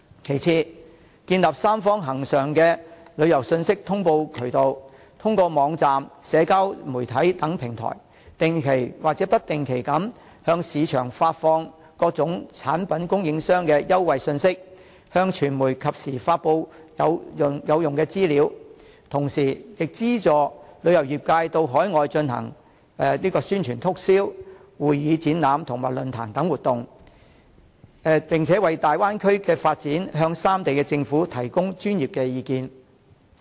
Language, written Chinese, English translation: Cantonese, 其次，建立三方恆常的旅遊信息通報渠道，通過網站、社交媒體等平台，定期或不定期的向市場發放各產品供應商的優惠信息，向傳媒及時發布有用的資料，同時亦資助旅遊業界到海外進行宣傳促銷、會議展覽及論壇等活動，為大灣區的發展向三地政府提供專業意見。, Besides the three places can set up constant notification channels to exchange tourism information; and make use of websites and social media to regularly or irregularly issue promotional information from product suppliers to the market and timely issue useful information to the mass media . The three places can also sponsor the tourism industry to conduct overseas advertising and promotional events and hold conventions exhibitions and forums so as to provide professional opinions to the governments of the three places